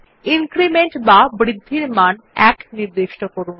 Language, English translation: Bengali, The increment is already set as 1